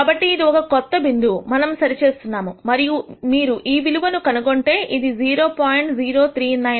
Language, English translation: Telugu, So, this is the new point that we are right and if you find out this value which is 0